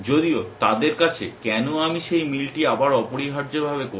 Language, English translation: Bengali, they have why should I do that match all over again essentially